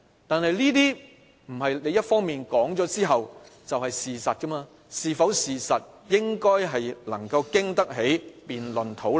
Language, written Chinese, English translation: Cantonese, 但政府單方面說出來的不一定是事實，事實應該經得起辯論、討論。, This one - side argument does not necessarily tell the truth for the truth should withstand the test of debate and discussion